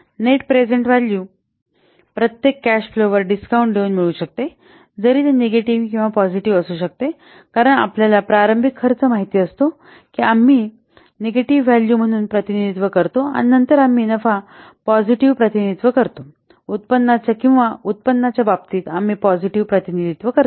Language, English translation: Marathi, The net present value can be obtained by discounting each cash flow both whether it is negative or positive because you know the initial expenses that we represent as negative value and then the profit we represent in terms of the positive or the income that we represent as positive what values